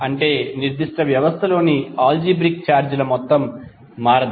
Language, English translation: Telugu, That means that the algebraic sum of charges within a particular system cannot change